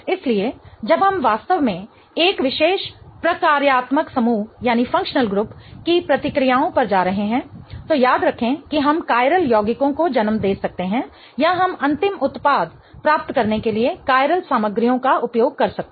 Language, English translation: Hindi, So, when we are really going over the reactions of a particular functional group, remember that we may give rise to chiral compounds or we may use chiral starting materials to get to the final product